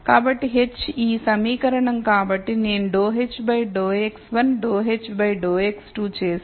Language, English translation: Telugu, So, h is this equation so if I do go h dou x 1 dou h dou x 2